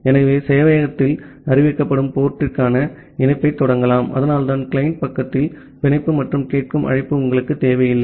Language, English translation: Tamil, So, the client can just initiate the connection to the port which is being announced by the server and that is why you do not require the bind and the listen call at the client side